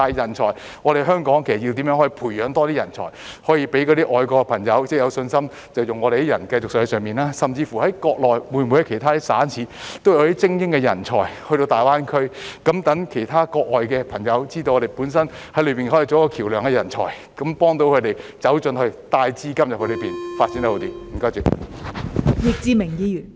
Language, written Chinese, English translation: Cantonese, 但是，香港應怎樣培養更多人才，讓外國的朋友有信心繼續在國內聘用香港人，甚至國內其他省市會否也有些精英到大灣區，讓其他國外的朋友知道香港的人才可以在國內作為橋樑，幫助他們走進去，帶資金到國內，發展得更好？, However how should Hong Kong nurture more talents so that people from foreign countries would have confidence to continue to hire Hong Kong people in China? . Will elites from other Mainland provinces and cities also enter GBA? . People from foreign countries will then realize that Hong Kong talents can serve as bridges in China and assist them in entering the Mainland with their funds and pursuing better development?